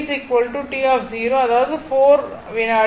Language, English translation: Tamil, So, you put t is equal to here 4 second